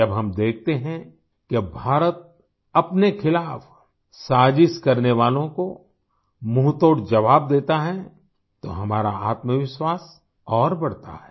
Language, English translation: Hindi, When we witness that now India gives a befitting reply to those who conspire against us, then our confidence soars